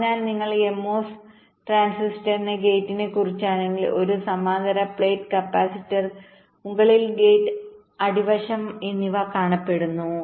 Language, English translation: Malayalam, so if you thing about the gate mos transistor, there is a that looks like a parallel plate capacitor gate on top and the substrate at bottom substrate is normally grounded